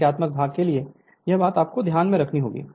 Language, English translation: Hindi, This thing for numerical part you have to keep it in your mind